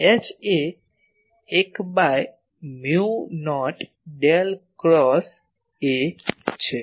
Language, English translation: Gujarati, H is 1 by mu not Del cross A